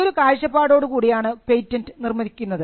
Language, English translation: Malayalam, So, it is from that perspective that the patent is constructed